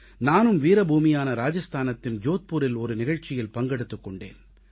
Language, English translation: Tamil, I too participated in a programme held at Jodhpur in the land of the valiant, Rajasthan